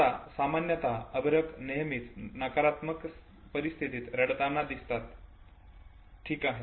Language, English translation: Marathi, Now infants usually have been found to know, cry in all negative situations okay